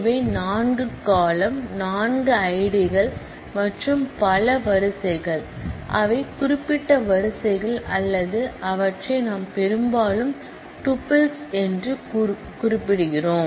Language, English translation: Tamil, These are the four columns, the four I Ds and multiple rows, which are specific rows or we often refer to them as tuples